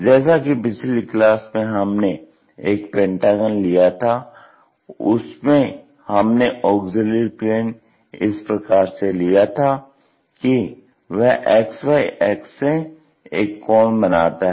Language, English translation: Hindi, In the last class we have seen this pentagon, in that pentagon auxiliary plane we have made in such a way that that was making a particular angle